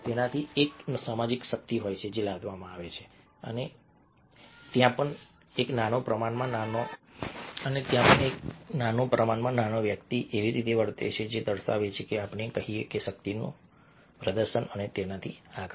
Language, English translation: Gujarati, now one of them happens to be a social power which is imposed, and even there a small, tiny person might behave in ways indicating ah, let say, a power, display of power, and so on and so forth